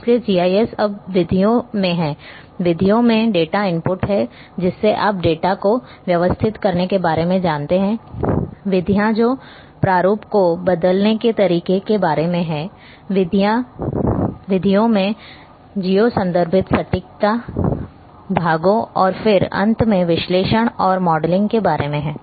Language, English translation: Hindi, So, the GIS so that is now in methods, methods have the input in data methods have about the you know organizing the data, methods about the changing the format, methods have about geo referencing accuracy parts and then finally, analysis and modeling